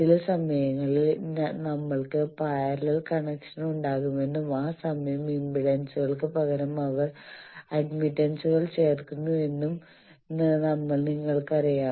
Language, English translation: Malayalam, Sometimes you know that we will also have parallel connections and that time instead of impedances you know admittances they get added